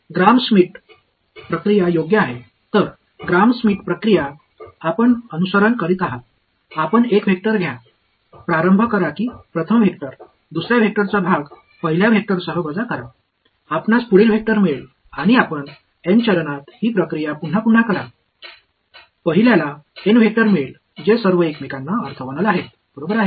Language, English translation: Marathi, Gram Schmidt process right; so, Gram Schmidt process is what you would follow, you take one vector start keep that the first vector, subtract of the part of the second vector along the first vector you get the next vector and you repeat this process in N steps you get N vectors that are all orthogonal to each other right